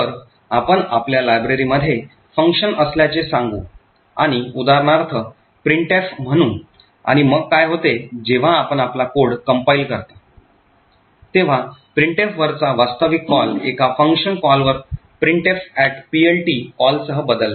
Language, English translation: Marathi, So, let us say we have a function present in a library and let us take for example say printf, and, what happens is that, when you compile your code, so the actual call to printf is replaced with a call to a function call printf at PLT